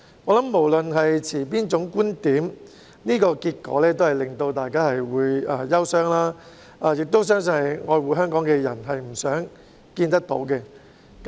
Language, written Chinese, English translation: Cantonese, 我想無論大家持哪種觀點，這個結果都會令人感到憂傷，我相信愛護香港的人都不想看到這個結果。, I think that this outcome has made all of us feel saddened no matter which kind of point of view one holds . I believe those who love Hong Kong would not wish to see such an outcome